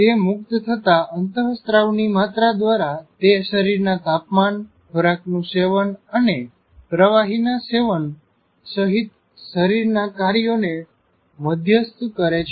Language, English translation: Gujarati, By the amount of hormones it releases, it moderates the body functions including sleep, body temperature, food intake and liquid intake